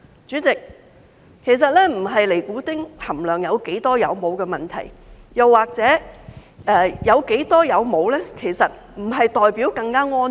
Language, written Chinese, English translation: Cantonese, 主席，其實這並不是尼古丁含量有多少或是有沒有的問題，又或者即使有較少尼古丁，其實並不代表是更安全。, President in fact it is not a question of the nicotine content or its presence and less nicotine does not mean that it is safer